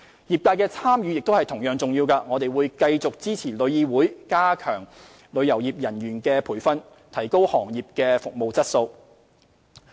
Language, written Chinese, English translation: Cantonese, 業界的參與同樣重要，我們會繼續支持旅議會加強旅遊業人員的培訓，提高行業服務質素。, Since the participation of the trade is equally important we will continue to support TIC in enhancing training for tourism practitioners in order to boost the quality of trade services